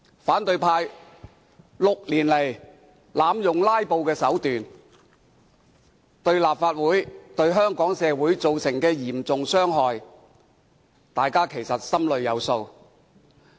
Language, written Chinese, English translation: Cantonese, 反對派6年來濫用"拉布"手段，對立法會及香港社會造成嚴重傷害，大家心中有數。, They know very well the serious harm done to the Legislative Council and Hong Kong society by the opposition camps abusive use of filibustering over the past six years